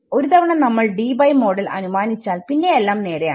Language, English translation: Malayalam, We have, once we assume the Debye model, it is just straight